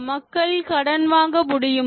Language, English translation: Tamil, Can people borrow